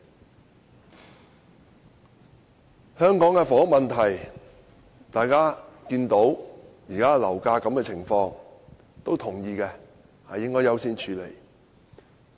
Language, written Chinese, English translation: Cantonese, 就香港的房屋問題，大家看到現時的樓價，也同意應要優先處理。, Regarding the housing problem given the current property prices people all agree that this issue should be addressed on a priority basis